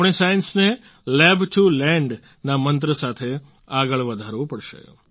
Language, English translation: Gujarati, We have to move science forward with the mantra of 'Lab to Land'